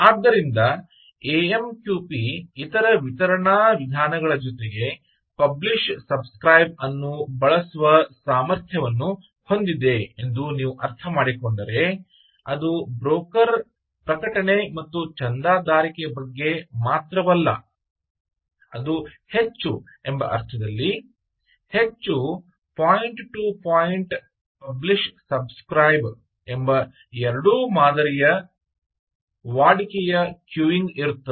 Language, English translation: Kannada, so i think, basically, if you understand that amqp is also has the ability of using publish, subscribe in addition to other methods of delivery, its not only just about broker, publish and subscribe, but its more is, is more than that, in the sense that it is both point to point, publish, subscribe, model, routine queuing and so on